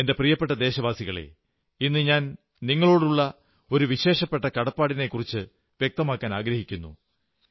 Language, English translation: Malayalam, My dear countrymen, I want to specially express my indebtedness to you